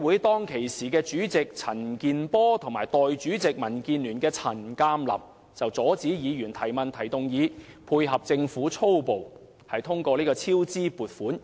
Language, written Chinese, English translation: Cantonese, 當時的財委會主席陳健波和代理主席，民建聯的陳鑑林，阻止議員提問或提出動議，以配合政府粗暴通過200多億元的超支撥款。, Chairman of the Finance Committee Mr CHAN Kin - por and Deputy Chairman Mr CHAN Kam - lam of the Democratic Alliance for the Betterment and Progress of Hong Kong DAB forbade Members to raise any questions or motions in a blatant attempt to help the Government force through the 20 billion funding for cost overrun